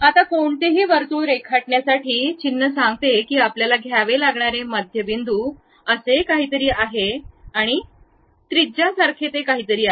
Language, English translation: Marathi, Now, to draw any circle, the icon says that there is something like center point you have to pick, and something like a radius